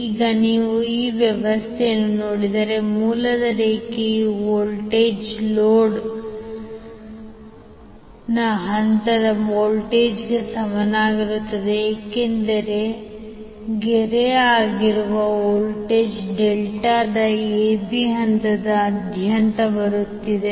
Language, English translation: Kannada, Now if you see these particular arrangement, the line voltage of the source will be equal to phase voltage of the load because line voltage that is Vab is coming across the phase AB of the delta